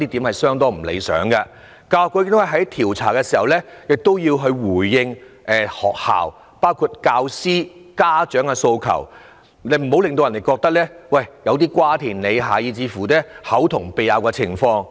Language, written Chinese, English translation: Cantonese, 教育局在調查投訴時，亦要回應學校包括教師及家長的訴求，這樣難免會出現瓜田李下、口同鼻拗的情況。, When the Education Bureau investigates complaints it will have to address the requests of schools including those of teachers and parents . This will inevitably give rise to suspicions and cases of one persons word against anothers